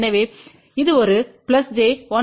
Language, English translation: Tamil, So, this is a plus j 1